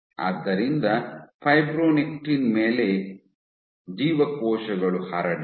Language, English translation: Kannada, So, on fibronectin the cells were spread